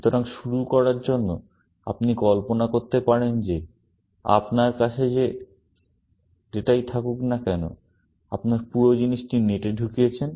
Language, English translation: Bengali, So, to start with, you can imagine that whatever the data that you have, you just put the whole thing into the net